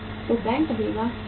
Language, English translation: Hindi, So bank would say that yes